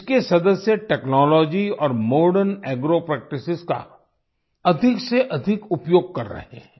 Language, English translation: Hindi, Its members are making maximum use of technology and Modern Agro Practices